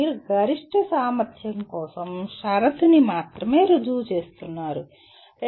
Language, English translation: Telugu, You are only proving the condition for maximum efficiency